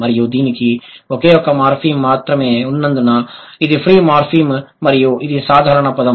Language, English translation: Telugu, So, if the word has only one morphem, it is a free morphem and that is a simple word